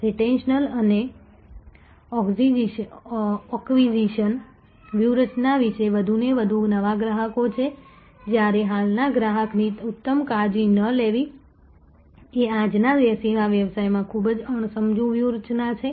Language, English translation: Gujarati, Without retention and acquisition strategy are more and more new customers while not taking excellent care of the existing customer is a very full hardy very unwise strategy in today's service business